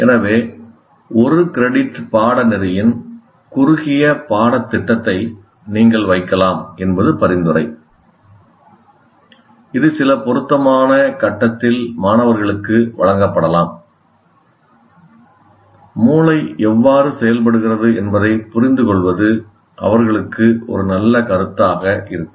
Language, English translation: Tamil, So the recommendation is you can have a short course, a one credit course that can be offered at some suitable point even to the students and design for students so that facilitate them to understand how the brain works